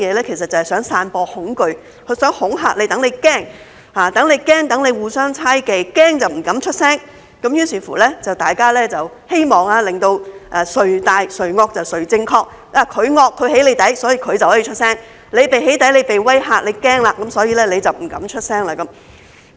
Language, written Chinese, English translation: Cantonese, 其實就是想散播恐懼，想恐嚇對方，讓他們驚，讓他們互相猜忌，他們驚就不敢出聲，希望做到"誰大誰惡誰正確"，他們惡，將對方"起底"，於是他們就可以出聲；那些被"起底"，被威嚇，驚了，所以就不敢出聲。, In fact they want to spread fear and scare the other party so that people are scared and are suspicious of each other . If people are scared they dare not speak out . They hope to achieve the effect that whoever is powerful and villainous has the say